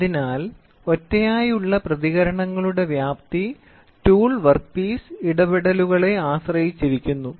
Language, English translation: Malayalam, So, the magnitude of individual responses depends upon tool work piece interactions, right